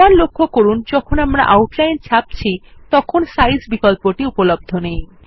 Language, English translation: Bengali, Notice once again, that Size options are not available when we print Outline